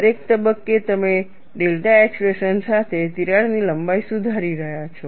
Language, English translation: Gujarati, At every stage you are correcting the crack length with the expression delta